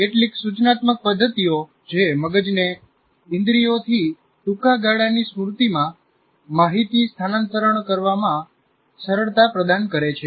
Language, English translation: Gujarati, Some of the instructional methods that facilitate the brain in dealing with information transfer from senses to short term memory